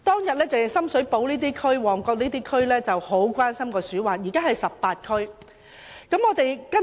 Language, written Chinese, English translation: Cantonese, 往日深水埗、旺角區很關心鼠患問題，如今18區都很關心。, Previously Sham Shui Po and Mong Kok were concerned about rodent infestation but now all the 18 districts are very much concerned about the problem